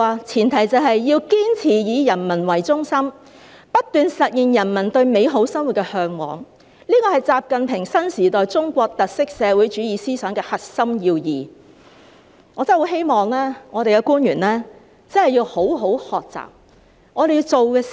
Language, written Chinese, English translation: Cantonese, 前提是，要堅持以人為中心，不斷實現人民對美好生活的嚮往，這是習近平新時代中國特色社會主義思想的核心要義，我真的很希望我們的官員真的要好好學習。, This can be achieved on the premise of adhering to a people - centered policy orientation and continuously realizing peoples yearning for a better life . These are the core principles of XI Jinping Thought on Socialism with Chinese Characteristics for a New Era which I really wish our government officials can learn well